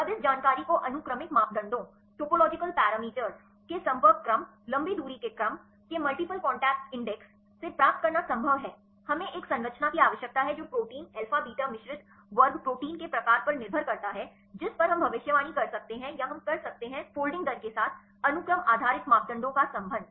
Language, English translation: Hindi, Now is it possible to get this information from the sequence the topological parameters contact order, long range order multiple contact index, we have need a structure is also depends upon the type of the protein alpha beta mixed class proteins right can we predict or can we relate the sequence based parameters with the folding rates last class we discussed about the stability right